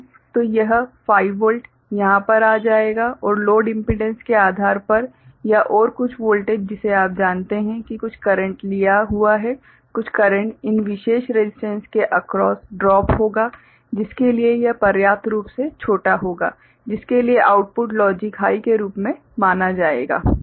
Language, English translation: Hindi, So, this 5 volt will be coming over here and depending on the load impedance or so, some voltage you know some current drawn, some current will be drop across these particular resistance for that will be sufficiently small for which the output will get recognized as logic high